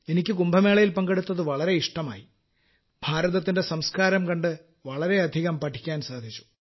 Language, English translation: Malayalam, I felt good on being a part of Kumbh Mela and got to learn a lot about the culture of India by observing